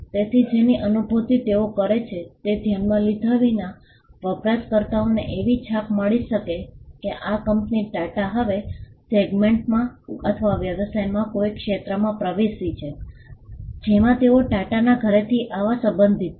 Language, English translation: Gujarati, So, regardless of which feel they are, a user may get an impression that this company TATA has now entered a segment or a course of business which they would relate to coming from the house of TATA’s